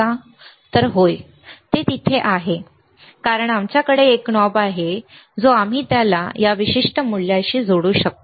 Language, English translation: Marathi, So, yes, it is there, right because we have we have a knob that we can connect it to the this particular value here